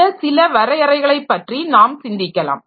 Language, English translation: Tamil, So, these are some of the definitions that we can think about